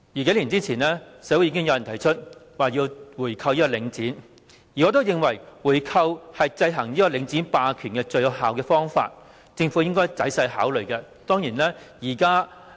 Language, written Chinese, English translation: Cantonese, 數年前，社會已經有人提出購回領展，而我認為回購是制衡領展霸權最有效的方法，政府應該仔細考慮。, A few years back members of the community already proposed buying back Link REIT and I think buying it back is the most effective way to counteract the hegemony of Link REIT . The Government should carefully take it into consideration